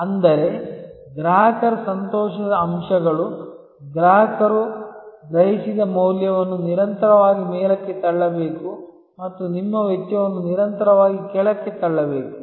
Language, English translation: Kannada, That means, the delight factors of the customers, the value perceived by the customer, should be constantly pushed upwards and your cost should be constantly pushed downwards